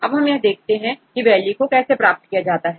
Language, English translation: Hindi, Now, we will see how to obtain the values